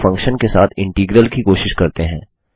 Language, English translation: Hindi, Now let us try an integral with a function